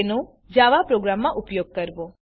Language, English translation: Gujarati, Use them in a Java program